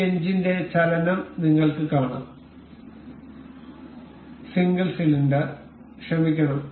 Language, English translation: Malayalam, You can see the motion of this engine, and and single single cylinder sorry